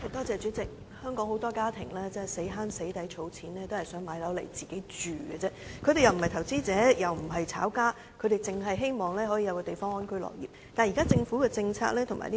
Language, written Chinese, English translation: Cantonese, 主席，香港有很多家庭辛苦儲錢，只是想購買一個單位自住，他們並非投資者，也非"炒家"，只希望可以有一個安居樂業的居所。, President many families in Hong Kong have tried hard to save money to buy a flat for self - occupation . These people are neither investors not speculators; and they only aspire to have a cozy home